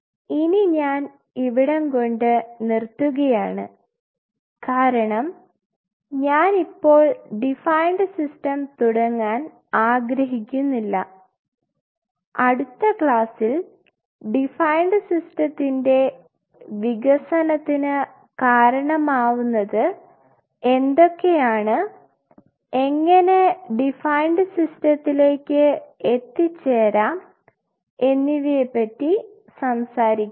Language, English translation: Malayalam, What I will do I will close in here because I do not want to start the defined system just now in the next class we will talk about what led to the development of defined system and how we can achieve a defined system